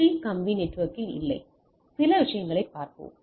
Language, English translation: Tamil, 3 dot wired network we will see that some of the things